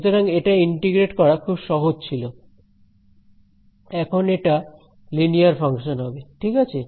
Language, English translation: Bengali, So, it was very simple to integrate now it will be a linear function right